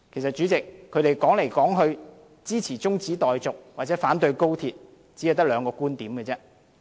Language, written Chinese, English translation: Cantonese, 主席，其實他們支持中止待續或反對高鐵來來去去只有兩個觀點。, President actually they have only two arguments for supporting the adjournment motion or opposing the construction of the XRL